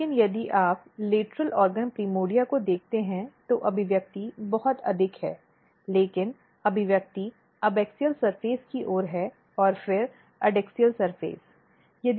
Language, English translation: Hindi, But if you look the primordia, lateral organ primordia expression is very high, but expression is more towards the abaxial surface then the adaxial surface